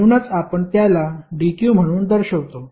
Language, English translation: Marathi, That is why we are representing as dq